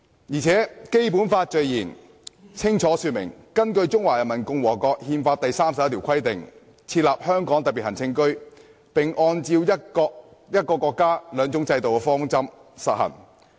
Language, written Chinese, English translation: Cantonese, "而且，《基本法》的序言清楚說明，"根據中華人民共和國憲法第三十一條的規定，設立香港特別行政區，並按照'一個國家，兩種制度'的方針"實行。, Also in the Preamble of the Basic Law it is clearly stated that a Hong Kong Special Administrative Region will be established in accordance with the provisions of Article 31 of the Constitution of the Peoples Republic of China and that under the principle of one country two systems